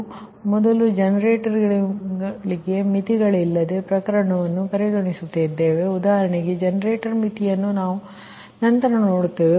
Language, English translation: Kannada, so we will first consider the case without the generator limits, for example generator limit that we will see later